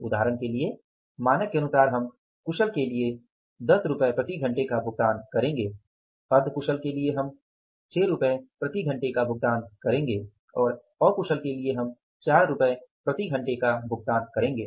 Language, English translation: Hindi, That was the standard and the labour rate was also decided that for example for the skilled we will be paying 10 rupees per hour for the semi skilled we will be paying 6 rupees per hour and for the unskilled we will be paying 4 rupees per hour that was standard